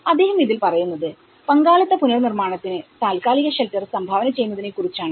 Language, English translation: Malayalam, So, he talks about temporary shelter contribute to participatory reconstruction